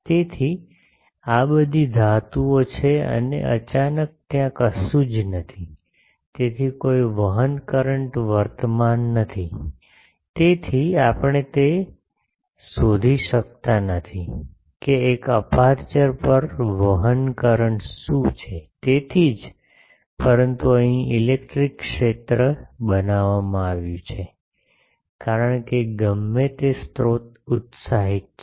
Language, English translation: Gujarati, So, these are all metals and suddenly there is nothing there, so there is no conduction current, so we cannot find out the what is a conduction current on an aperture that is why is, but there is an electric field created here, because of whatever source excited that is